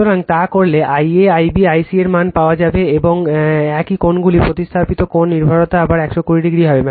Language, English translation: Bengali, So, if you do so you will get value of I a, I b, I c, magnitude same angles also substituted angle dependence will be again 120 degree right